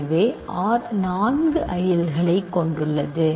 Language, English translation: Tamil, So, R has four ideals